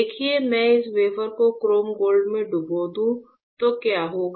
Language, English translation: Hindi, See if I dip this wafer in chrome gold etchant, then what will happen